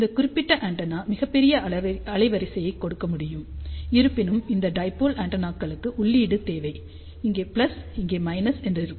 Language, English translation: Tamil, And this particular antenna can give very large bandwidth; however, these dipole antennas require input, which is plus over here minus over here